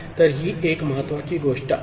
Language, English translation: Marathi, So, this is one important thing